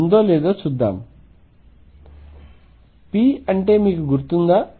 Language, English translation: Telugu, Remember what is p